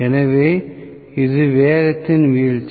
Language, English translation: Tamil, So, this is the drop in the speed